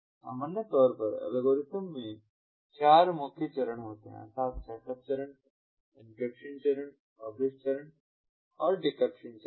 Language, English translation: Hindi, in general, the algorithm consists of four main stages: The setup stage, the encryption stage, the publish stage and the decryption stage